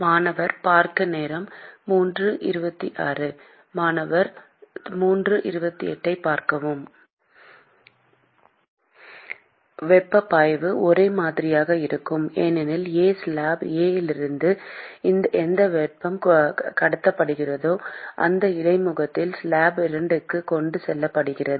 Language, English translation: Tamil, Heat flux is same, because whatever heat that is being transported from slab A is being transported to slab 2 at that interface